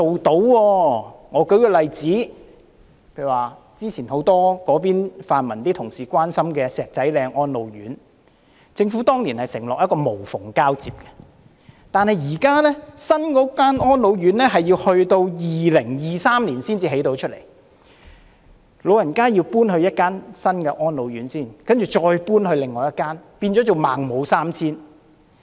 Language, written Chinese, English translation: Cantonese, 讓我舉一個例子，就早前很多泛民同事關心的石仔嶺安老院，政府當年承諾會無縫交接，但是，現時新的安老院舍大樓要到2023年才能落成，老人家要先搬到另一間安老院，之後再搬到另一間，仿如"孟母三遷"。, Let me cite an example . Earlier many pan - democratic Members expressed concerns over the residential care homes for the elderly at the Dills Corner Garden which the Government had promised a seamless transition for its reprovisioning before . Now the construction of the new residential care complex for the elderly will only be completed in 2023 and so the elderly have to move to another residential care home first and then move again to another like the three moves by Mencius mother